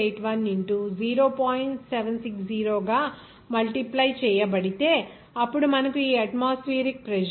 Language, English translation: Telugu, 760, then you will get that atmospheric pressure as like this 1